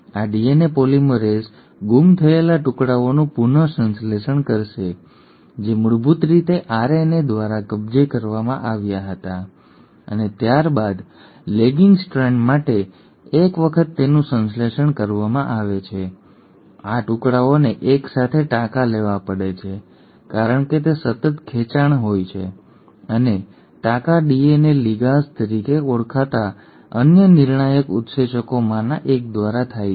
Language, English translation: Gujarati, This DNA polymerase will re synthesise the missing pieces which were originally occupied by the RNA and then for the lagging strand once these have been synthesised, these pieces have to be stitched together, because it has to be a continuous stretch and that stitching happens by the one of the another crucial enzymes called as DNA ligase